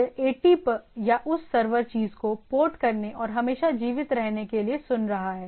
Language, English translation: Hindi, It is listening to port 80 or that server thing and always alive